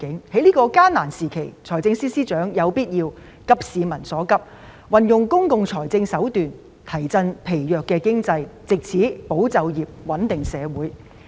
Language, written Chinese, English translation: Cantonese, 在這個艱難時期，財政司司長有必要急市民所急，運用公共財政手段，提振疲弱的經濟，藉此保就業、穩定社會。, During this difficult period the Financial Secretary needs to address the publics pressing needs and adopt public financial measures to boost the weak economy so as to safeguard jobs and stabilize society